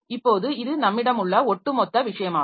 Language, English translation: Tamil, Now, so this is the overall thing that we have